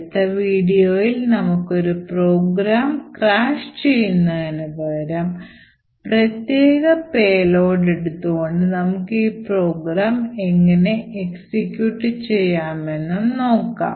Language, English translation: Malayalam, So, the next video we will see that instead of just crashing the program we will force one particular payload of our choice to execute from this program